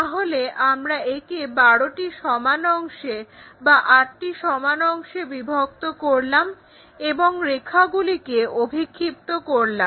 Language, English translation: Bengali, It is a circle, so we divide that into 12 equal parts, 8 equal parts and project these lines